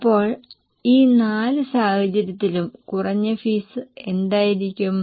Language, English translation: Malayalam, So, what will be the lower fee in these four scenarios